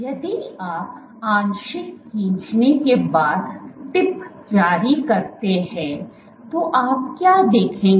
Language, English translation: Hindi, If release the tip after partial pulling, what will you see